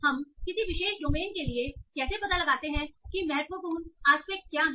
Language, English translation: Hindi, So, how do we find out for a particular domain what are the important aspects